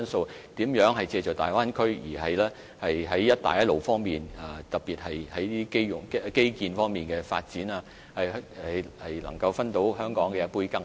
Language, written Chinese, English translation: Cantonese, 我們要思考如何借助大灣區特別是在基建方面的發展，令香港能夠在"一帶一路"的發展中分一杯羹。, We need to contemplate how to leverage on the development of the Bay Area in particular infrastructure to enable Hong Kong to gain a share of the Belt and Road development